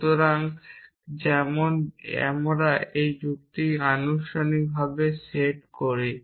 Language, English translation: Bengali, So, like we set logic as formal essentially